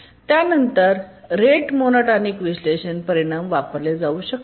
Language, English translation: Marathi, And then we can use the rate monotonic analysis results